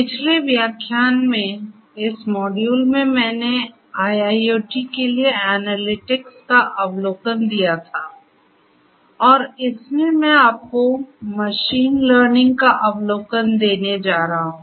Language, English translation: Hindi, In the last lecture, in this module I had given an overview of analytics for IIoT and in this I am going to give you the overview of machine learning